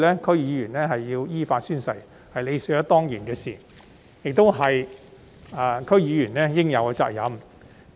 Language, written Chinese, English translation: Cantonese, 區議員必須依法宣誓，是理所當然的事，亦是區議員應有的責任。, It is a matter of course that DC members must take the oath in accordance with the law which is also their responsibility